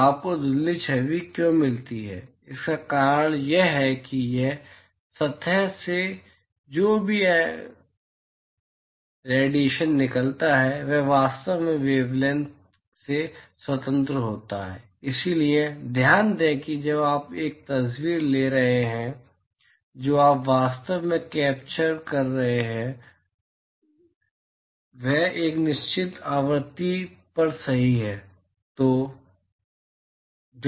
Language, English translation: Hindi, The reason why you get blurred image is because whatever radiation that comes out of this surface are actually independent of the wavelength, because note that when you are taking a picture what you are actually capturing is at a certain frequency right